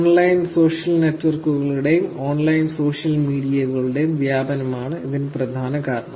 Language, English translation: Malayalam, The main reason for this is the proliferation of online social network, online social media